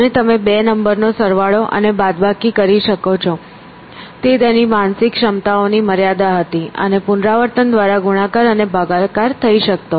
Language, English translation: Gujarati, And, you could add and subtract 2 numbers; that was its limits of its mental abilities, and multiply and divide by repetition essentially